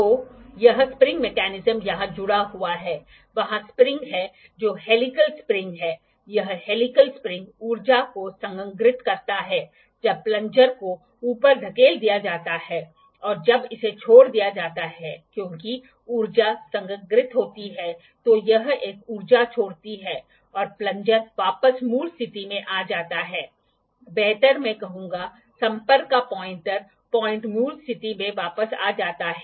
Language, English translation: Hindi, So, this spring mechanism is attached here; there is the spring that is the helical spring this helical spring stores energy, when the plunger is pushed up and when it is left because energy is stored it releases an energy and the plunger comes back to the original position, better, I would say the pointer point of contact comes back to the original position